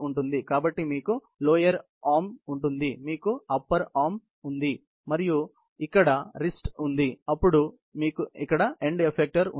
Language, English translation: Telugu, So, you have the lower arm; you have upper arm and you have the wrist here and then, you have the end effector here